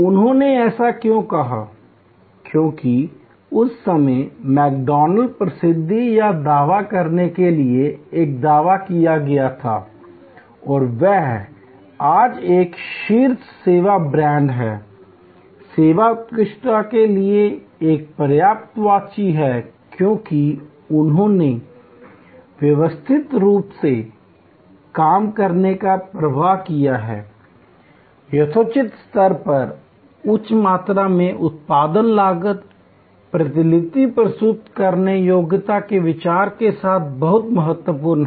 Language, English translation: Hindi, Why did they say that, because the claim to fame or why McDonald was at that time and he is today a top service brand, a synonyms for service excellence is because, they have worked out a systematic work flow, high volume production at reasonably low cost, very important with the idea of reproducibility